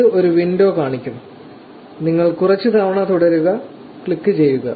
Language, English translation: Malayalam, It will show up a window, you just click continue couple of times